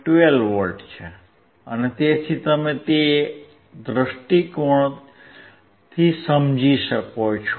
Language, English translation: Gujarati, 12V so, you understand from that point of view